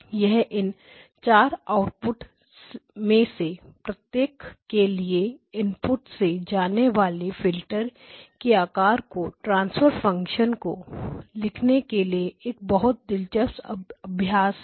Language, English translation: Hindi, It is a very interesting exercise to write down the transfer function the shape of the filter going from the input to each of these 4 outputs